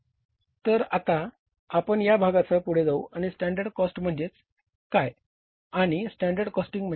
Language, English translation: Marathi, So now we will proceed further with this part and we will learn about that what is the standard cost and what is the standard costing